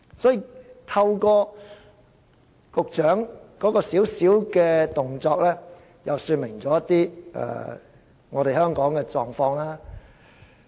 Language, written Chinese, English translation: Cantonese, 所以，局長的小動作說明了香港的一些狀況。, The manoeuver of the Secretary well illustrates the situation in Hong Kong